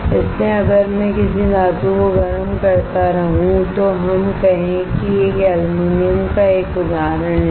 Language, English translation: Hindi, So, if I keep on heating a metal let us say take an example of aluminum right